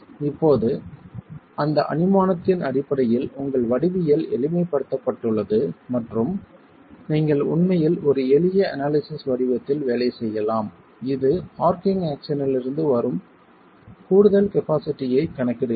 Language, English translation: Tamil, Now based on that assumption, your geometry is simplified and you can actually work on a simple analytical form that accounts for additional capacity coming from the arching action